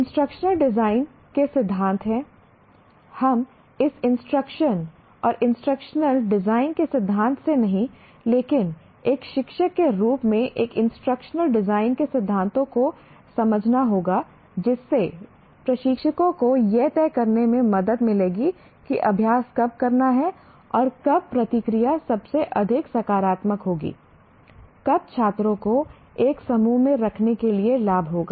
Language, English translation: Hindi, We will not be going through the theory of this instruction and instructional design, but as a teacher one has to understand the principles of instructional design would help instructors to decide when practice and feedback will be most effective, when it would not would benefit students to be put into groups